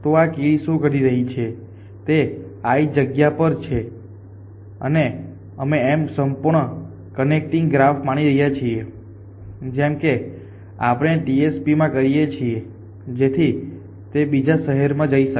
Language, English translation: Gujarati, So, essentially what this ants it doing is sitting at this location i and it is got is we a assuming a completely connecting graph here the it as we do in the TSP so it can move to any other city